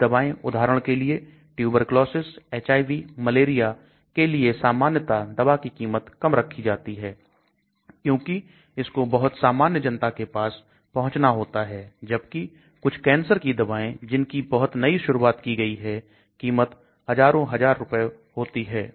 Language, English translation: Hindi, Some of the drugs for example for tuberculosis, HIV, malaria generally it is expected the cost of the drug has to be low because it has to reach out to very poor population whereas some of the cancer drugs which are being introduced very newly may cost thousands and thousands of rupees